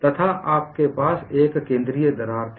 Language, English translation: Hindi, How many have got the central crack